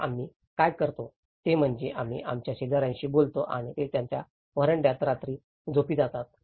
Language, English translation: Marathi, So, what we do is we negotiate with our neighbours and they sleep on the nights in their verandas